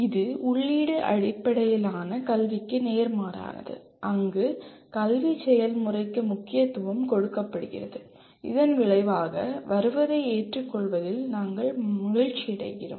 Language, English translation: Tamil, It is the opposite of input based education where the emphasis is on the educational process and where we are happy to accept whatever is the result